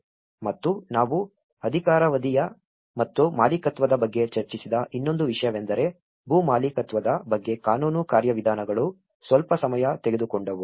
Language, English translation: Kannada, And the other thing we did discuss about the tenure and the ownership the legal procedures regarding the land ownership which also took some time